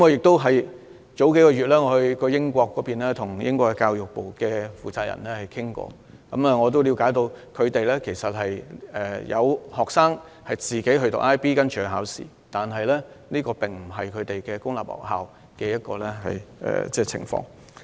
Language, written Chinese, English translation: Cantonese, 數月前，我曾到訪英國，並與英國教育部負責人面談，我了解到有當地學生自行報讀 IB 課程和參加考試，但當地公立學校沒有教授 IB 課程。, I visited the United Kingdom a few months ago and talked to someone in charge of education from the Department for Education . I learned that some students there also enrolled in IB courses and sat for the relevant examinations on their own but the public schools there did not teach IB courses